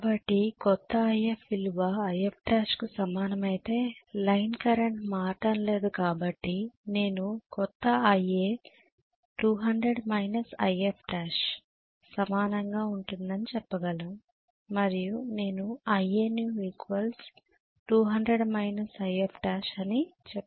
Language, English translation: Telugu, So let us say the new IF value is equal to IF dash, line current is not changing so I should be able to say IA new will be equal to 200 minus IF dash right and I should say 200 minus IF dash is IA new